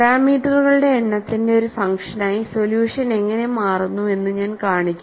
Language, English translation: Malayalam, And I will also show, as a function of number of parameters, how the solution changes